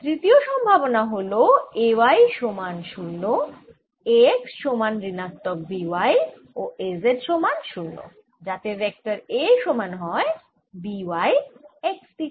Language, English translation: Bengali, or third possibilities: a y equals to zero, a x equals minus b y and a z equal to zero, so that a is minus b, x, b y in the x direction